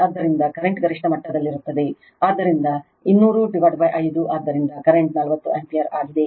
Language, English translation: Kannada, So, the current is maximum so 200 by 5, so current is 40 ampere right